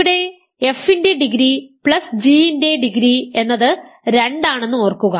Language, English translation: Malayalam, Remember degree of f plus degree of g here is 2